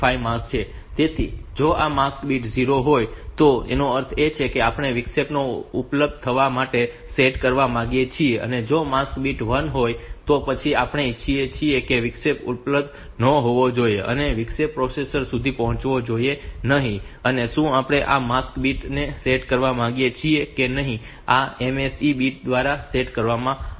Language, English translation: Gujarati, 5 mask, so if this mask bit is 0; that means, we want to set the interrupt to be available and if this mask bit is 1; then we want that the interrupt should not be available, the interrupt should not reach the processor and whether we want to set this mask bit or not so that is set done by this MSE bits so mask set enable so if this bit is 0; so it will ignore bit number 0 to 2 and if this bit is 1; so it will set the mask according to the bits 0 to 2